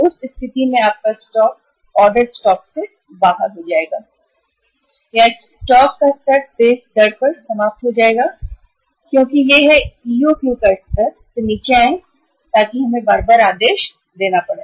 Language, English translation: Hindi, In that case your stock will will be out of uh we will be in the situation of out of stock or our orders will be or our level of the stock will be exhausting at the faster rate because it is it has come down from the EOQ level so we have to place the orders time and again